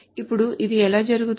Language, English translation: Telugu, Now how it is done